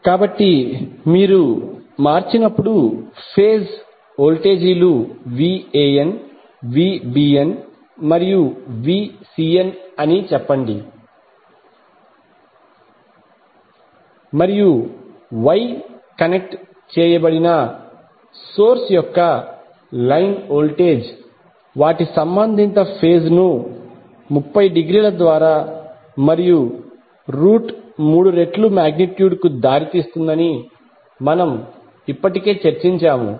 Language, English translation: Telugu, So when you convert, let us say that the phase voltages are Van, Vbn and Vcn and we have already discussed that line line voltage of Wye connected source leads their corresponding phase by 30 degree and root 3 times the magnitude